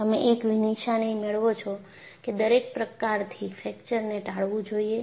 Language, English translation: Gujarati, You get an impression by all means fracture should be avoided